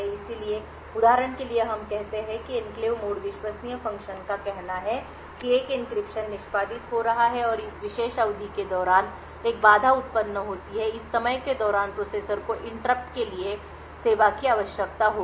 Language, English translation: Hindi, So, for example let us say that the enclave mode trusted function let say an encryption is executing and during this particular period an interrupt occurs during this time the processors would require to service the interrupt